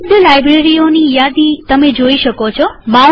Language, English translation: Gujarati, A list of available libraries appears